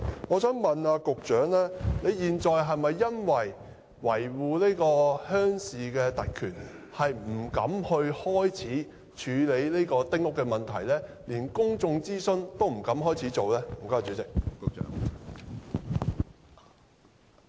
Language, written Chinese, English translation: Cantonese, 我想問局長，現在是否為了維護鄉郊特權，而不敢着手處理丁屋的問題，連公眾諮詢也不敢展開呢？, May I ask the Secretary does he dare not proceed to deal with the problems associated with small houses or even launch any public consultation in order to protect the privilege of villagers in rural areas?